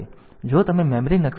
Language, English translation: Gujarati, So, if you look into the memory map